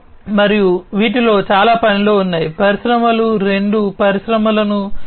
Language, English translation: Telugu, And many of these in are in the works, the industries are transforming two Industry 4